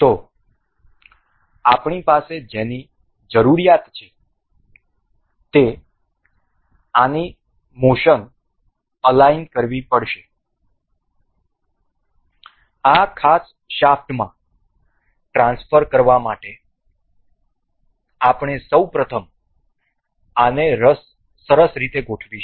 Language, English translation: Gujarati, So, what we require is to align the motion of this to transfer these to this particular shaft, for that we will first of all align this nicely